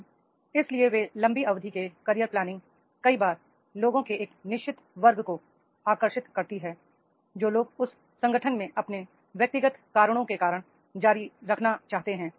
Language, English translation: Hindi, Now, so therefore this this long term career planning many times attract, attract for a certain class of the people those who want to continue because of their personal reasons in that organization